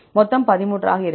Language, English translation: Tamil, 13; total will be 13